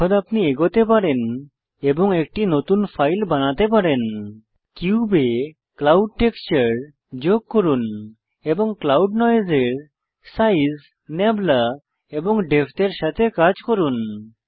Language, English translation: Bengali, Now you can go ahead and create a new file add a clouds texture to the cube and play around with Size, Nabla and Depth of the Clouds Noise